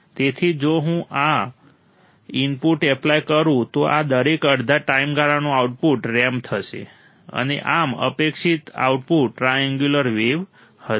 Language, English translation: Gujarati, So, if I apply this input, the output for each of these half period would be ramped and thus the expected output would be triangular wave